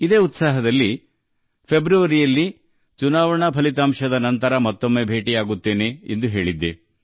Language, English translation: Kannada, With this very feeling, I had told you in February that I would meet you again after the election results